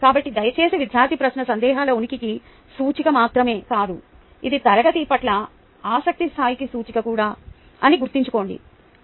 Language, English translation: Telugu, so please remember that a student question is an indicator of not only the presence of doubts, but it is an indicator of the level of interest in the class